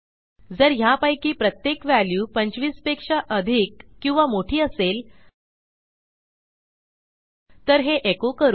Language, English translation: Marathi, If each of these values is greater than 25 or bigger than 25